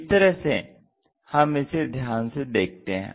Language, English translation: Hindi, This is the way we observe